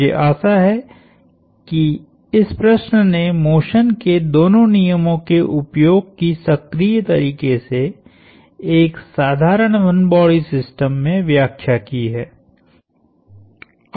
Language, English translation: Hindi, I hope this problem illustrated the use of both laws of motion in a dynamical way, in a simple one body system